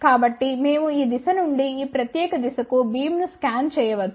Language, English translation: Telugu, So, we can scan the beam from this direction to this particular direction